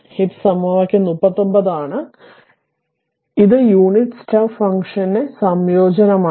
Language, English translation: Malayalam, This is equation 39, this is that your what you call; it is integration of the unit step function